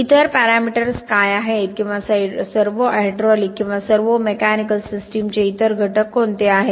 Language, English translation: Marathi, What are the other parameters or what are the other components of a servo hydraulic or a servo mechanical system